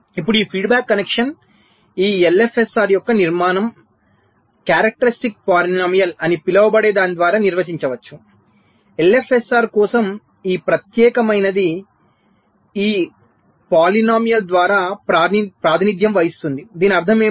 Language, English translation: Telugu, now this feedback connection are the structure of this l f s r can be defined by something called the characteristic polynomial, like this: particular for for l f s r is represented or characterized by this polynomial